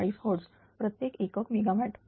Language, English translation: Marathi, 40 hertz per unit megawatt